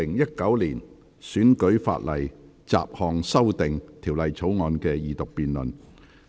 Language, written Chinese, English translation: Cantonese, 本會恢復《2019年選舉法例條例草案》的二讀辯論。, This Council resumes the Second Reading debate on the Electoral Legislation Bill 2019